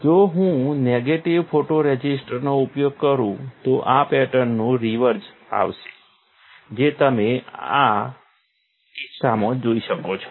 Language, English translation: Gujarati, If I use a negative photoresist, the reverse of this pattern will come which you can see in this case